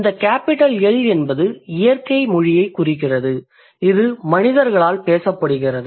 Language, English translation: Tamil, So, Big L refers to natural language, which is spoken by the humans